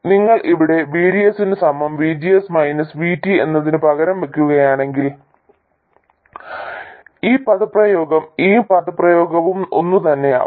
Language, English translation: Malayalam, If you substitute VDS equals VGS minus VT here, this expression and this expression become the same